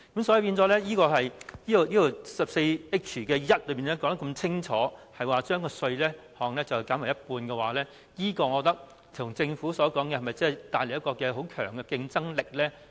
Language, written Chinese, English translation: Cantonese, 所以，第 14H1 條說得這麼清楚，要將稅項減半，是否一如政府所說，可以為香港帶來很強的競爭力呢？, In this regard can we really bring Hong Kong with great competitiveness by expressly stipulating a half - rate concession in section 14H1 as the Government has claimed?